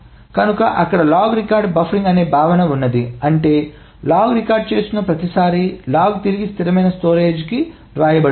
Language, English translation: Telugu, So there is the concept of log record buffering which means that not every time a log record is being done the log is written back to the stable storage